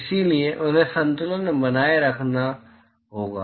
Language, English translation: Hindi, So, they have to be maintained at equilibrium